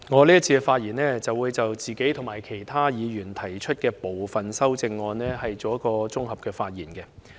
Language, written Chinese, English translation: Cantonese, 在這環節，我將會就我自己及其他議員提出的部分修正案作綜合發言。, In this session I will speak on my own amendment and some of those proposed by other Members as a whole